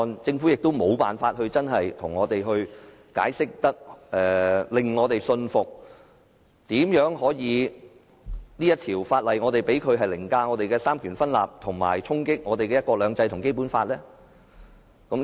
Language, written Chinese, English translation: Cantonese, 政府亦無法向我們清楚解釋，並令我們信服為何可讓這項法案凌駕於香港的三權分立制度之上，以及衝擊香港的"一國兩制"和《基本法》。, The Government has also failed to clearly explain to us with convincing reasons why the Bill should be allowed to override the system of separation of powers in Hong Kong and deal a great blow to the principle of one country two systems as well as the Basic Law